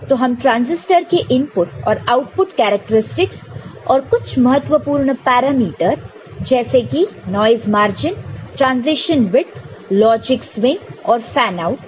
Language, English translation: Hindi, So, we shall look at its input output characteristics and some important parameters like noise margin, transition width, logic swing and fanout